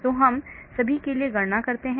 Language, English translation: Hindi, So we do the calculations for all